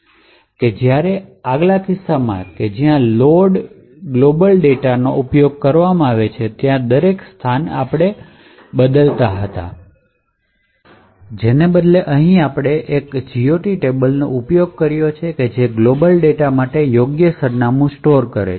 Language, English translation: Gujarati, Unlike, the previous case where the loader goes on changing each and every location where the global data is used, here we are using a single GOT table which stores the correct address for the global data